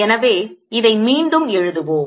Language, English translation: Tamil, so let's try this again